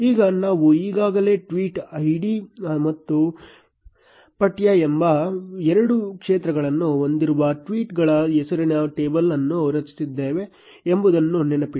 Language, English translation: Kannada, Now, remember we have already created a table named tweets which had two fields tweet id and text